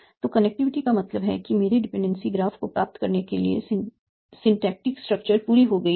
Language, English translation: Hindi, So, connectedness means that the synthetic structure that I am obtaining by my dependency graph is complete